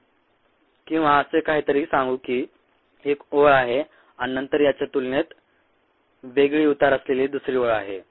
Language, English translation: Marathi, this is one line, and then there is another line here with a difference slope